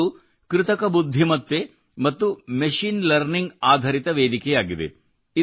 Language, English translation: Kannada, This is a platform based on artificial intelligence and machine learning